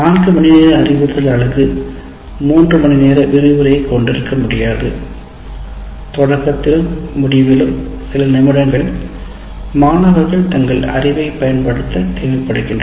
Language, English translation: Tamil, So what happens is I cannot say in a 4 hour instructional unit, I will lecture for 3 hours and spend some time in the beginning as well as at the end making the students use the knowledge for about 20 minutes